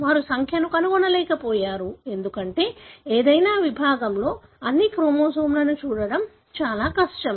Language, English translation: Telugu, They were unable to find the number, because it was very difficult to view all the chromosomes in any given section